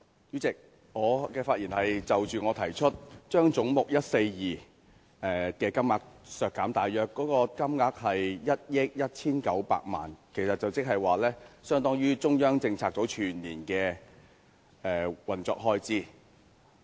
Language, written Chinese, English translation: Cantonese, 主席，我的發言是關於我提出的修正案，將總目142削減1億 1,900 萬元，大約相當於中央政策組全年的運作開支。, Chairman my speech is about my proposed amendment that seeks to reduce head 142 by 119 million approximately equivalent to the annual operational expenses of the Central Policy Unit CPU